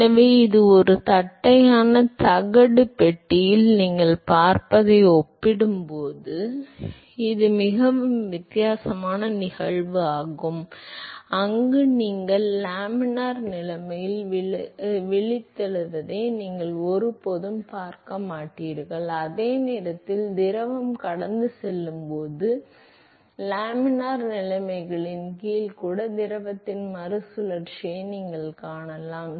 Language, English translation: Tamil, So, this is a very very different phenomena compare to what you see in a flat plate case where you will never see a wake formation in the laminar conditions while you will see recirculation of the fluid even under laminar conditions when the fluid is flowing past the cylinder and that is because of the geometry